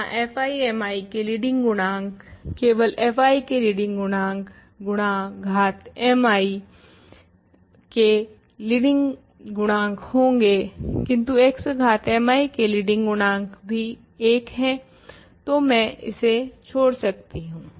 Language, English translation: Hindi, Here leading coefficient of f i mi is just leading coefficient of f i times leading coefficient of x power mi, but leading coefficient of x power mi is 1 so, I can omit this